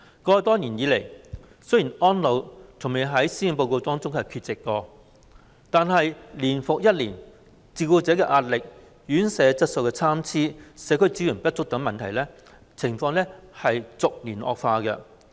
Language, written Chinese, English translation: Cantonese, 過去多年來，雖然"安老"從未在施政報告中缺席，但年復一年，照顧者的壓力、院舍質素參差、社區支援不足等問題是逐年惡化。, In the past years although elderly care has never been absent from the Policy Address year after year the problems of carer pressure poor quality of residential care and inadequate community support are deteriorating year by year